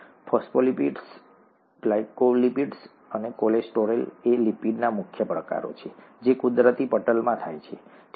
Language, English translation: Gujarati, Phospholipids, glycolipids and cholesterol are the major types of lipids that occur in a natural membrane, okay